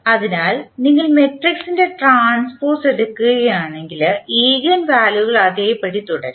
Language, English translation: Malayalam, So, if you take the transpose of the matrix the eigenvalues will remain same